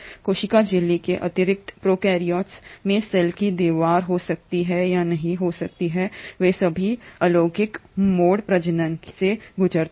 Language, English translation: Hindi, In addition to cell membrane the prokaryotes may or may not have a cell wall and they all undergo asexual mode of reproduction